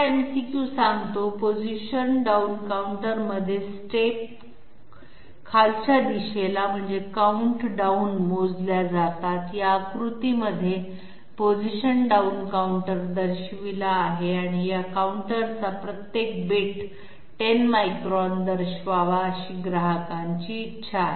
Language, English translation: Marathi, The 2nd MCQ says, the steps are counted down in a position down counter, this is the figure in which the position down counter is shown and it is desired by a customer that each bit of this counter represent 10 microns